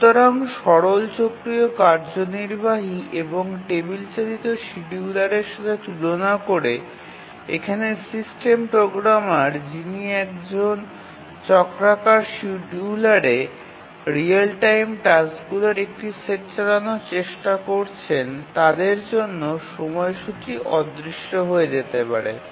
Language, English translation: Bengali, So, compared to the simple cyclic executive and the table driven scheduler, here for the system programmer who is trying to run a set of real time tasks on a cyclic scheduler, the development of the schedule is non trivial